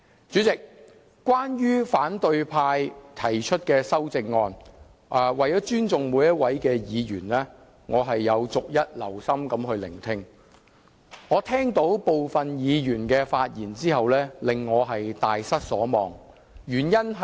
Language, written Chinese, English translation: Cantonese, 主席，關於反對派議員提出的修訂建議，為了尊重每位議員，我有逐一留心聆聽，但部分議員的發言卻令我大失所望。, President concerning the proposed amendments of opposition Members I have been listening attentively to all their speeches in order to show respect but the remarks made by some Members have let me down